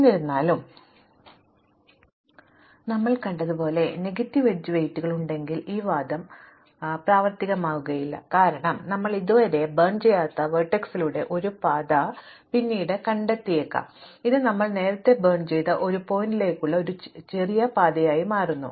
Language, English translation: Malayalam, However, as we saw this argument does not work if we can have negative edge weights, because we may find later a path via vertex which we have not burnt yet which becomes a shorter path to a vertex we have burnt earlier